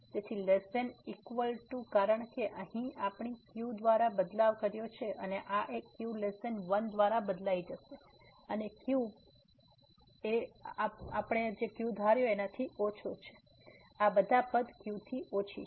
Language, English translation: Gujarati, So, less than equal to because here we have replace by and this one is also replace by though it is a less than 1 this is also less than all these terms are less than